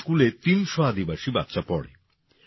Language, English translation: Bengali, 300 tribal children study in this school